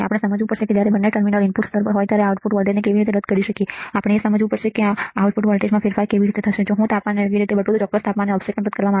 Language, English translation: Gujarati, We have to understand how we can nullify the output voltage when both the terminals are the input are ground, we have to understand how the change in the output voltage would happen even the offset is nulled at particular temperature if I change the temperature right